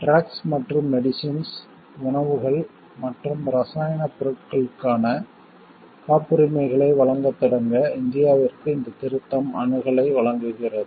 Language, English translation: Tamil, This amendment provides access to India to start providing patents for drugs and medicines, foods and chemical products